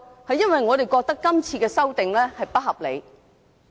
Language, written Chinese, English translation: Cantonese, 是因為我們認為今次的修訂建議非常不合理。, That is because the current proposed amendments are very unreasonable